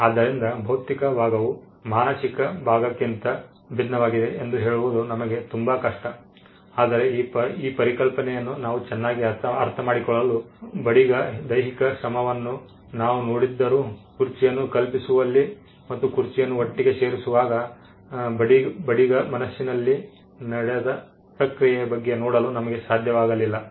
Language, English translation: Kannada, So, it is very hard for us to cut and say the physical part is different from the mental part, but for us to understand this concept better, though we saw the carpenter exercising physical effort and physical labor, we were not able to see the process that went in in conceiving the chair and in putting the chair together, which went in his mind